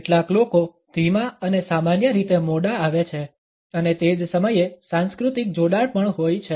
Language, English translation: Gujarati, Some people are tardy and habitually late comers and at the same time there are cultural associations also